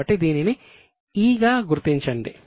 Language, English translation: Telugu, So, let us mark it as E